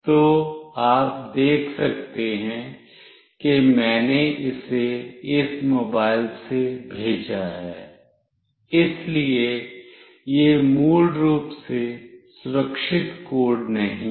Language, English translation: Hindi, So, you can see that I have sent it from this mobile, so this is not the secure code basically